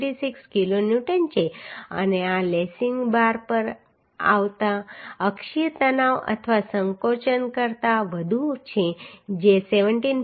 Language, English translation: Gujarati, 36 kilonewton and this is more than the axial tension or compression coming on the lacing bar that is 17